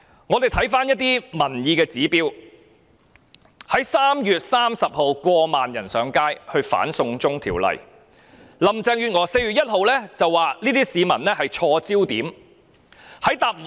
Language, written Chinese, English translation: Cantonese, 我們可參考一些民意指標 ：3 月30日有過萬人上街反對這項"送中條例"，但林鄭月娥卻在4月1日表示市民的焦點錯了。, We can make reference to the public opinions reflected from certain incidents as follows On 30 March over ten thousand took to the street to protest against this extradition to China legislation but Carrie LAM responded on 1 April that some members of the public had misplaced their focus